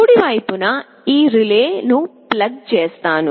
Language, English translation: Telugu, On the right side I will simply plug in this relay